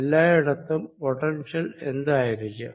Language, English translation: Malayalam, what is the potential throughout